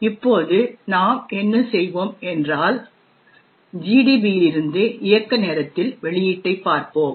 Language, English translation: Tamil, Now what we will do is that we will look the output at runtime from GDB